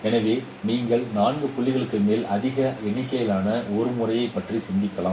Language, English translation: Tamil, So let us consider a method where you have more number of observations more than four points